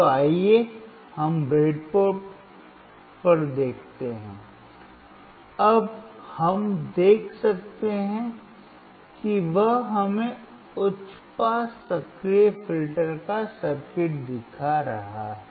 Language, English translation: Hindi, So, let us see on the breadboard, now we can we can see he is showing us the circuit of the high pass active filter